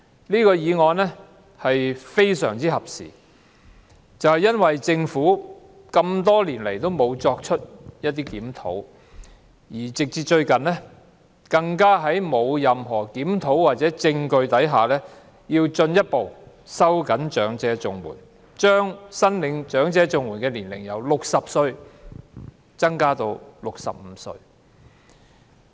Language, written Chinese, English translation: Cantonese, 這項議案來得非常合時，因為政府多年來沒有檢討綜合社會保障援助，最近更在沒有任何檢討或實證下，進一步收緊長者綜援的門檻，把申領長者綜援的年齡由60歲提高至65歲。, This motion is most timely because the Government has not reviewed the Comprehensive Social Security Assistance CSSA Scheme for years . On top of that it further tightened the threshold for CSSA for the elderly recently by raising the eligibility age from 60 to 65 without any study or factual basis